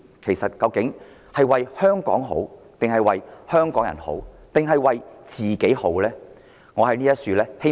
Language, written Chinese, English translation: Cantonese, 其實他們是為香港好，為香港人好，抑或是為自己好？, Is this for the sake of Hong Kong for the sake of Hong Kong people or for the sake of themselves?